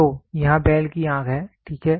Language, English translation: Hindi, So, here is the bull’s eye, ok